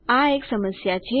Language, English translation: Gujarati, Thats the problem